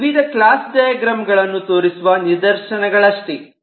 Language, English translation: Kannada, so this is just to show certain instances of different class diagram